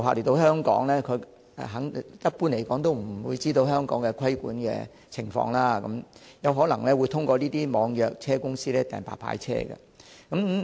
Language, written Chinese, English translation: Cantonese, 訪港旅客一般都不知道香港的規管情況，因而有可能會透過這些網約公司預約白牌車。, Since inbound tourists are generally unaware of the relevant regulation in Hong Kong they may hire white licence cars via the e - hailing companies